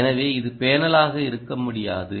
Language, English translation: Tamil, what should be my panel